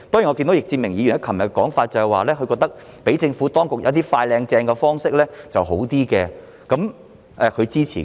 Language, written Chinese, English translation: Cantonese, 易志明議員昨天的說法是，他覺得讓政府當局使用一些"快、靚、正"的方式較好，他支持這樣做。, The narrative advanced by Mr Frankie YICK yesterday is that he thinks it would be better for the Administration to adopt some beautifully efficient means and he supports doing so